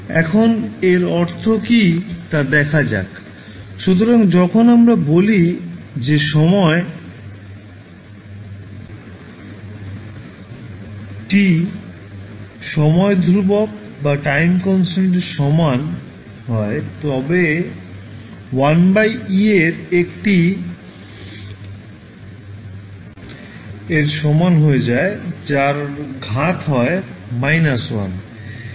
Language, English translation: Bengali, Now, what does it mean let see, so when we say that the time t is equal to time constant tau the response will decay by a factor of 1 by e that is e to the power minus 1